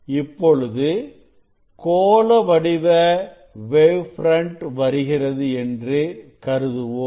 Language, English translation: Tamil, from the source this spherical waves wavelets or wave fronts you are getting